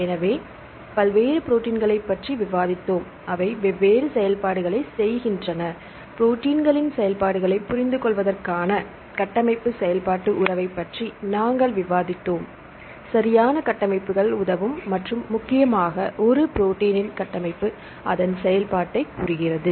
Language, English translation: Tamil, So, we discussed about various proteins with they perform different functions; then we discussed about the structure function relationship to understand the functions of proteins, right the structures will help and mainly the structure of a protein dictates its function